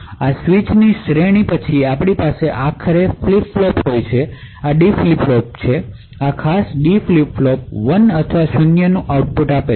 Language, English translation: Gujarati, After a series of such switches we eventually have a flip flop, this is a D flip flop, this particular D flip flop gives an output of 1 or 0